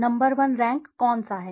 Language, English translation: Hindi, Which one is the number one rank